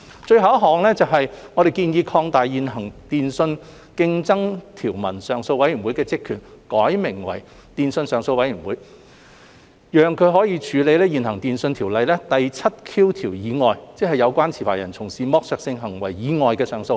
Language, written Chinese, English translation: Cantonese, 最後，我們建議擴大現行電訊上訴委員會的職權，並命名為"電訊上訴委員會"，讓它可以處理現行《電訊條例》第 7Q 條以外，即有關持牌人從事剝削性行為以外的上訴。, Last but not least we propose to expand the functions and powers of the existing Telecommunications Appeal Board and rename it as the Telecommunications Appeal Board so that it can handle appeals in addition to those relating to section 7Q of TO